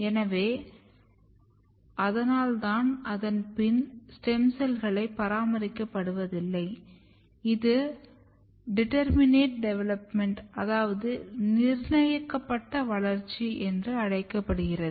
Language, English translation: Tamil, So, that is why there is no longer or there is no longer maintenance of stem cells and this is called determinate development